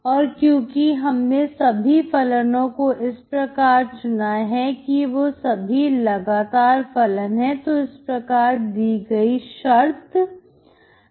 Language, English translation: Hindi, And because we have chosen all the functions as a continuous function, so this condition is satisfied